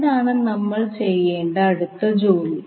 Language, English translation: Malayalam, So what next you have to do